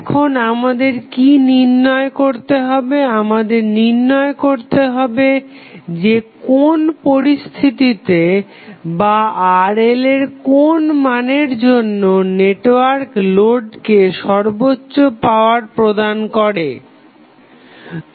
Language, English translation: Bengali, And now, what we have to do we have to find out under which condition or what would be the value of this Rl at which the maximum power would be delivered by the network to the load